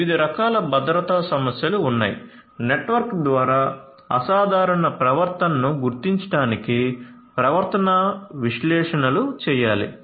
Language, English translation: Telugu, There are different types of security issues; behavioral analytics for detecting abnormal behavior by the network should be done